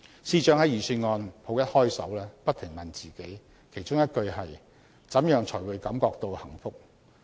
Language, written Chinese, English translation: Cantonese, 司長在預算案甫一開首，不停問自己，其中一句是："怎樣才會感覺到幸福"。, At the beginning of the Secretarys speech he says How can we attain a sense of well - being?